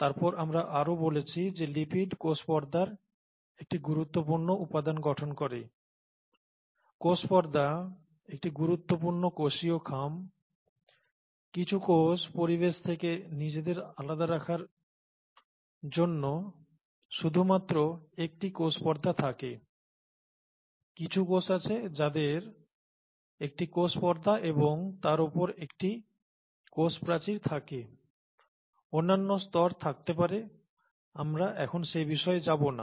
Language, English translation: Bengali, And then we also said that lipids form an important component of the membrane, of the cell membrane, cell membrane is an important cell envelope; some cells have only a cell membrane to distinguish themselves from the environment, some cells have a cell membrane and on top of that a cell wall too, and maybe there are other layers, that we’re not talking about now, (we’re) let’s not get into that